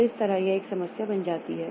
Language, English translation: Hindi, So that was a major problem